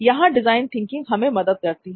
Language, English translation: Hindi, So design thinking will help us